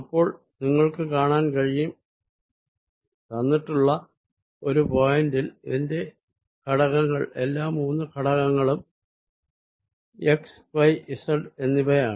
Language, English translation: Malayalam, so you can see that at any given point it has components, all three components, x, y and z